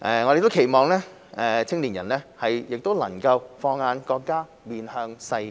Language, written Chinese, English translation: Cantonese, 我們亦期望青年人能放眼國家、面向世界。, We also hope that young people can set their sights on the country and engage themselves globally